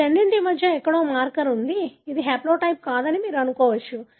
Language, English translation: Telugu, There were marker somewhere in between these two, you would assume this is not the haplotype